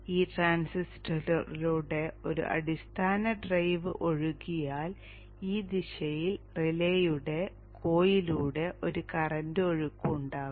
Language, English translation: Malayalam, Once a base drive flows through this transistor there will be a current flow through the coil of the relay in this direction